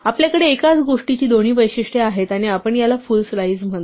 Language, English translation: Marathi, We have both characteristics in the same thing and we call this a full slice